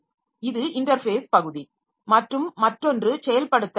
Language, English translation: Tamil, So, this is the interface part and other is the implementation